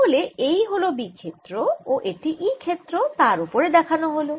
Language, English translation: Bengali, so this is the b field and e field is shown on that